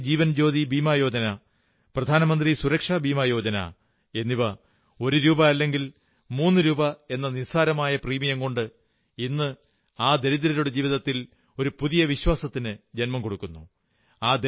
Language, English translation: Malayalam, Schemes like, Pradhan Mantri Jeewan Jyoti Bima Yojna, Pradhan Mantri Suraksha Bima Yojna, with a small premium of one rupee or thirty rupees, are giving a new sense of confidence to the poor